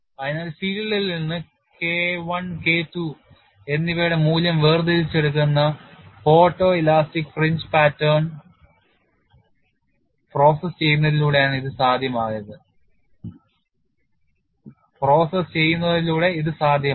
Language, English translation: Malayalam, So, it is possible by processing the photo elastic fringe pattern extracting the value of K1 and K2 from the field